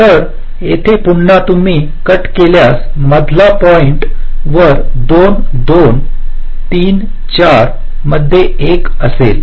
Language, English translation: Marathi, so here again, if you cut at the middle point, two, two, three, four will be in one